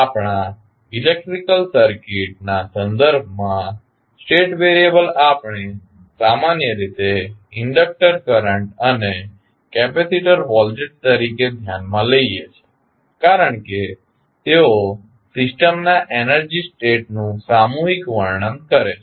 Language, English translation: Gujarati, With respect to our electrical circuit the state variables we generally consider as inductor current and capacitor voltages because they collectively describe the energy state of the system